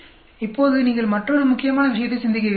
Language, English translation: Tamil, Now, I want you to think another important thing